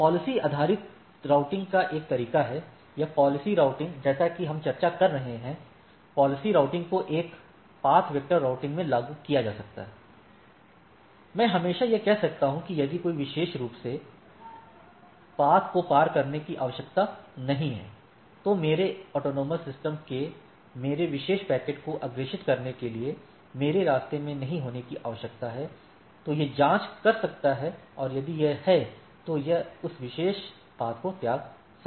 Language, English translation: Hindi, There is a there is a way of policy based routing, or policy routing as we are discussing, policy routing can be implemented a in path vector routing, that I can always say that with path if say a particular AS need not to be crossed or need not to be in my path of forward in for forwarding my particular packets of a AS of a AS then it can checks, and if it is there it can discard that particular path